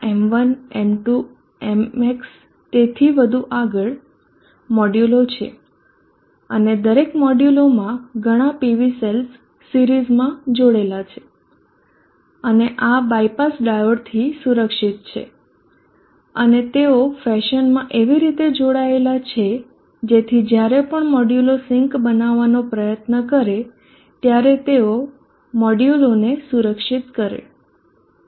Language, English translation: Gujarati, These are modules M1, M2, MH so on so forth and each of the modules have many PV cells connected in series and these are the protected bypass diode and they are connected across in the fashion, such that they protect the modules, whenever the modules try to become sinks